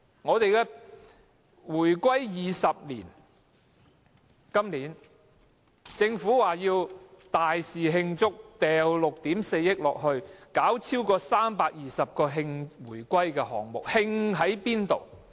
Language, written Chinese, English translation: Cantonese, 今年是回歸20周年，政府表示要盛大慶祝，撥款6億 4,000 萬元，舉行超過320個慶回歸的項目。, This year marks the 20 anniversary of the reunification and the Government is planning a huge celebration with an allocation of 640 million for organizing more than 320 commemorative events